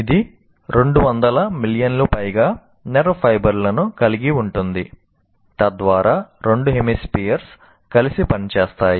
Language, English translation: Telugu, It consists of more than 200 million nerve fibers so that the two hemispheres can act together